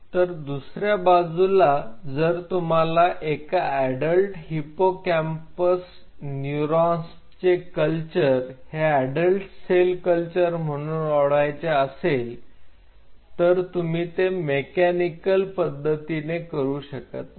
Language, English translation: Marathi, On the other hand if you want to develop an adult cell culture of adult hippocampal neuron culture you cannot do so by mechanically